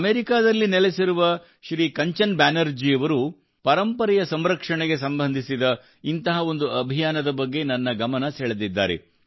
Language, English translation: Kannada, Shriman Kanchan Banerjee, who lives in America, has drawn my attention to one such campaign related to the preservation of heritage